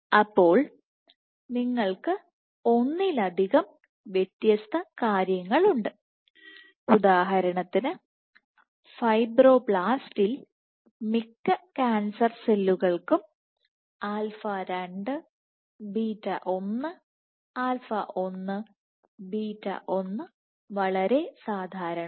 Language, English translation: Malayalam, So, you have multiple different things for example, in fibroblast in most cancer cells alpha 2 beta 1, alpha 1 beta 1 are very common